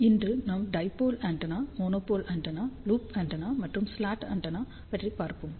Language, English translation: Tamil, Today, we are going to talk about dipole antenna, monopole antenna, loop antenna and slot antenna